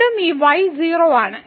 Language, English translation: Malayalam, So, again this is 0